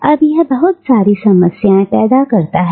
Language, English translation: Hindi, ” Now, this creates a number of problems